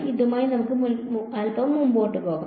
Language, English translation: Malayalam, Let us move a little bit ahead with this